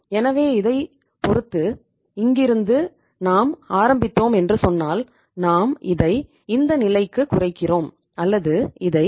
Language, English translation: Tamil, So depending upon and if it is say beginning is this and we are reducing it to this level or if you increase it to this level that is 0